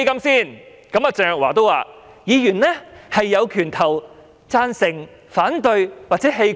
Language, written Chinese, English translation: Cantonese, 她說議員有權投贊成、反對票或棄權。, She said that Members had the right to vote for or against the proposal or abstain from voting